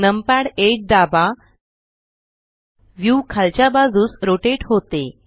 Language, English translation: Marathi, Press numpad 8 the view rotates downwards